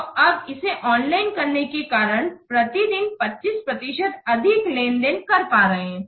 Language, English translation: Hindi, So, now due to making the online, 25% more transactions are completed per day